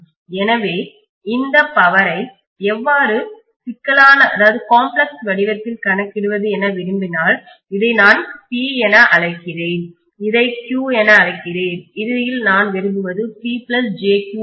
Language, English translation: Tamil, So if want actually how to calculate this power in the complex form let me call this as P, let me call this as Q and ultimately what I want is P plus jQ, this is what I want